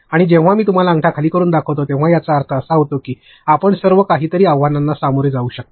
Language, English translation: Marathi, And, when I show you a thumbs down it means what all challenges can you possibly face